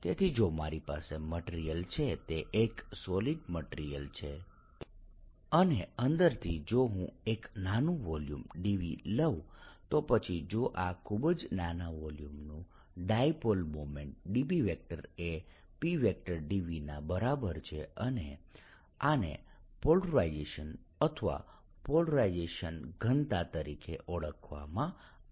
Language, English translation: Gujarati, so if i have a material ok, this is which is solid material, and inside, if i take a small volume, d v then if the dipole moment of this small, infinitesimal volume so let's call it infinitesimal dipole moment d p is equal to p, d v, and this is known as the polarization or polarization density